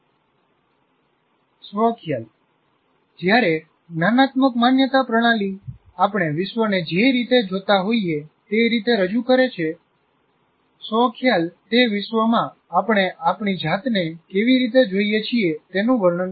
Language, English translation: Gujarati, While the cognitive belief system portrays the way we see the world, this self concept describes the way we see ourselves in that world